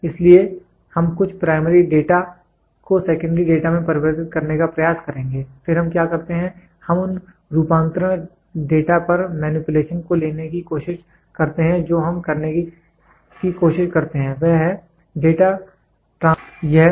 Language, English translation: Hindi, So, we will try to convert some of the primary data into a secondary data, then what we do is we try to take those conversion data variable manipulation of elements we try to do and then what we try to do is we try to have to have Data Transmission System